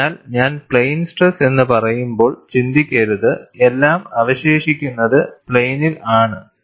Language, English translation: Malayalam, So, do not think when I say plane stress everything remains in the plane, it is not so